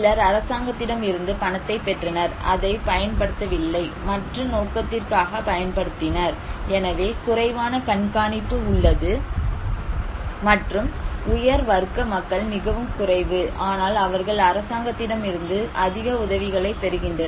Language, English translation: Tamil, And some received the money from the government, but did not use it, did use it for other purposes so, they have less monitoring, and upper class people are very less but they receive more assistance from the government